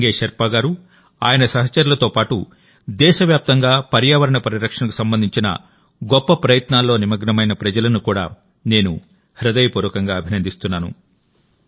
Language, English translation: Telugu, Along with Sange Sherpa ji and his colleagues, I also heartily appreciate the people engaged in the noble effort of environmental protection across the country